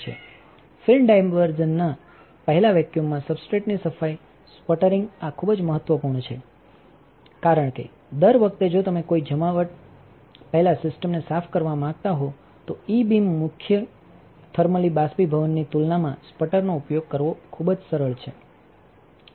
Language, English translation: Gujarati, Sputtering cleaning of the substrate in vacuum prior to film diversion, this is very important because every time if you want to clean the system before a deposition it is very easy to use sputter compared to the E beam main thermally evaporation